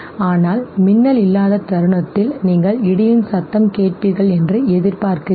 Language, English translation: Tamil, But the moment you see no lightning you anticipate that you will now hear sound of the thunder okay